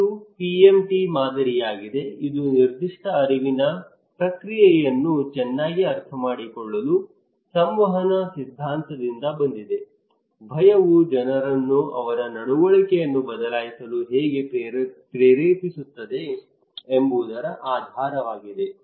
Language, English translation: Kannada, This one the PMT model, that came from the communications theory to better understand the specific cognitive process underlying how fear appeals motivate people to change their behaviour